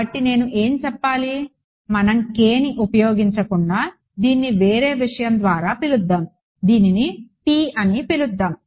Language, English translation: Telugu, So, what should I let us let us not use k let us call this by some other thing let us call this let us say p let us call this p